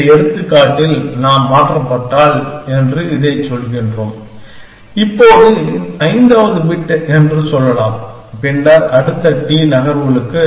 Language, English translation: Tamil, In this example, we are saying that, if we are change, let us say the fifth bit now, then for the next t moves, I am not allowed to change that fifth bit essentially